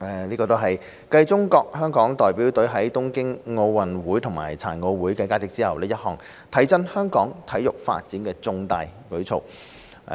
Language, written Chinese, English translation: Cantonese, 這是繼中國香港代表隊在東京奧運會及殘奧會的佳績後，一項提振香港體育發展的重大舉措。, This is a significant move that will promote Hong Kongs sports development following the distinguished achievements of the Hong Kong China Delegation at the Tokyo OG and PG